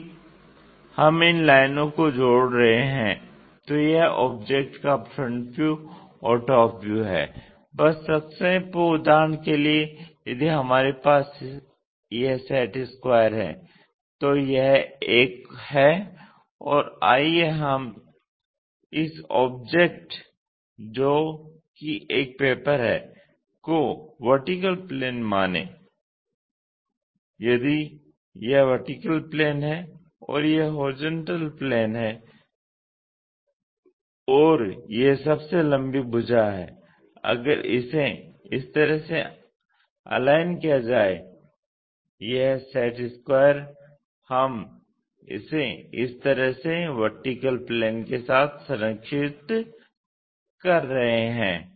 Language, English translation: Hindi, If we are joining these lines this is the front view top view of that object, just to summarize for example, if we have this set square this is the one and let us consider the vertical plane is this object if this is the vertical plane and this is the horizontal plane and this longest one if it is aligned in this way the set square, this set square we are aligning it with the vertical plane in that way